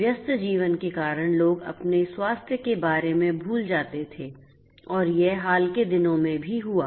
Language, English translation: Hindi, People use to forget about their health due to busy life and this as also happened in the recent past